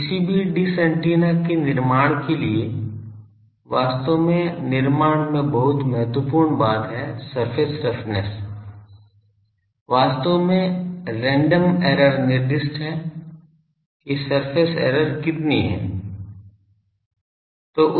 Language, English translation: Hindi, So, any dish antenna for fabrication actually the very critical thing in the fabrication is the surface roughness, actually the random error is specified that how much surface error is there